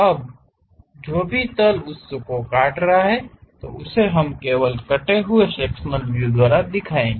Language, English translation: Hindi, Now, the plane whatever it cuts that part only we will show it by cut sectional view